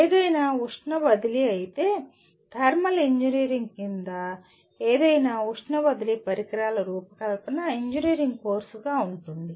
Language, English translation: Telugu, But whereas any heat transfer, design of any heat transfer equipment under thermal engineering will constitute an engineering course